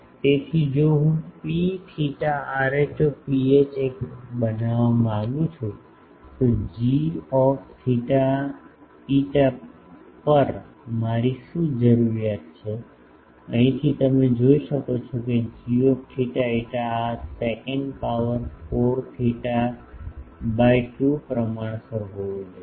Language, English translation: Gujarati, So, if I want to make P theta rho phi uniform then what is my requirement on g theta phi, from here you can see that g theta phi should be proportional to this sec 4 theta by 2